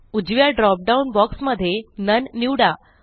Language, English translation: Marathi, In the right drop down box, select none